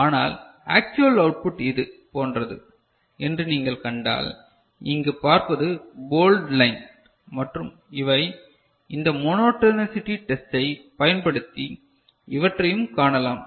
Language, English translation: Tamil, But, if you see the actual output is something like this what you see over here in the bold line, then these and this can be observed using this monotonicity test ok